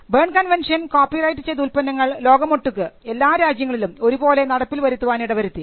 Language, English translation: Malayalam, The BERNE convention made it easy for copyrighted works to be enforced across the globe